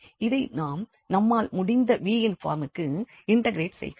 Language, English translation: Tamil, So, which we can integrate now to find v a possible form of v